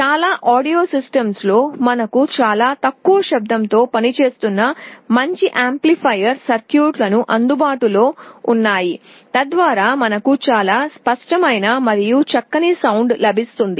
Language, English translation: Telugu, In most audio systems we also have a good amplifier circuit with very low noise so that we get a very clear and nice sound